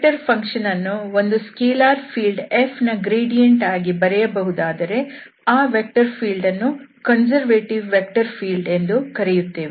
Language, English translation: Kannada, So, this is the potential function whose gradient is the given vector field that means, the given vector field is a conservative vector field